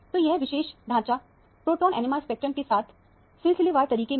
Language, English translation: Hindi, So, this particular skeleton is consistent with the proton NMR spectrum